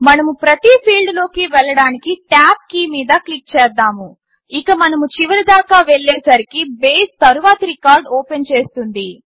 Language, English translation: Telugu, Let us click on the tab key to go to each field, and as we go to the last, Base opens the next record